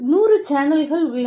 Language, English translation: Tamil, And, you know, hundred channels